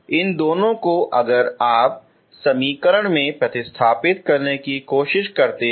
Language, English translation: Hindi, these two if you try to substitute there into equation